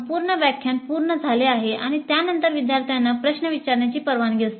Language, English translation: Marathi, So the entire lecture is completed and then the students are allowed to ask the questions